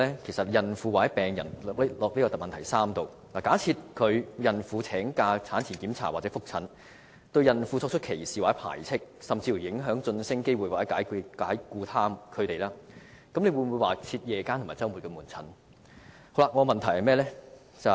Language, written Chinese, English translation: Cantonese, 我們將孕婦或病人代入主體質詢的第三部分，假設有孕婦請假進行產前檢查或覆診，而僱主對他們作出歧視或排斥的行為，甚至影響其晉升機會或解僱他們，政府又會否增設夜間或周末門診服務？, Let us substitute the victims in part 3 of the main question with pregnant women or patients . If some pregnant women applied for leave to attend antenatal check - ups or follow - up consultations and their employers discriminated against them ostracized them or even deprived them of promotional opportunities or dismissed them will the Government provide additional outpatient services for them in the evenings or on weekends?